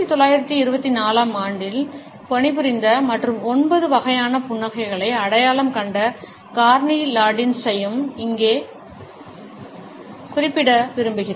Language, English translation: Tamil, Here I would also like to mention Carney Landis, who had worked in 1924 and had identified 9 different types of a smiles